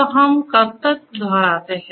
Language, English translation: Hindi, So, how long do we repeat